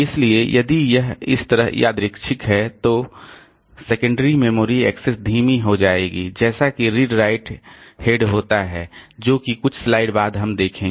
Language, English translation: Hindi, So, like that if it is random like this then secondary storage access will become slow as the read right head as we will see after a few slides